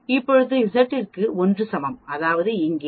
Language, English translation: Tamil, When Z is equal to 1 here, that means here